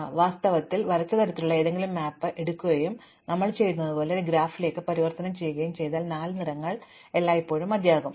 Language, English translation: Malayalam, So, in fact it turns out that if you take any map of the kind that we drew and convert it into a graph like we did, four colors are always enough